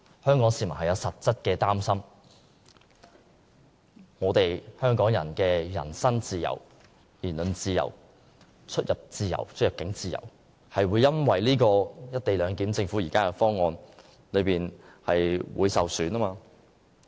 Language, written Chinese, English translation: Cantonese, 香港市民對此有實質的擔心，憂慮香港人的人身自由、言論自由、出入境自由會因為政府現時提出的"一地兩檢"方案而受損。, This is the real worry of Hong Kong people; they fear that their freedom of the person freedom of speech and freedom to enter or leave HKSAR may be undermined as a result of the co - location arrangement proposed by the Government